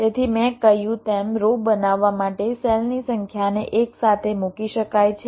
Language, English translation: Gujarati, so so, as i said, number of cells can be put side by side, abutted to form rows